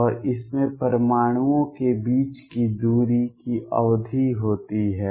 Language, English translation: Hindi, And it has a period of the distance between the atoms